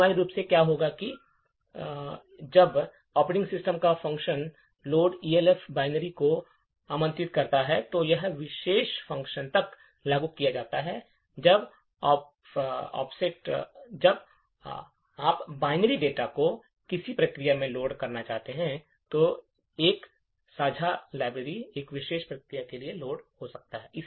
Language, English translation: Hindi, Essentially what is happening is that when the operating system invokes this function load elf binary, so this particular function is invoked when you want to either load binary data to a process or a shared library gets loaded into a particular process